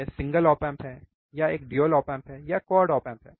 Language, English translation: Hindi, It is single op amp or it is a dual op amp or it is in quad op amp